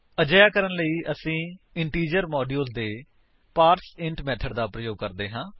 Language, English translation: Punjabi, To do this, we use the parseInt method of the integer module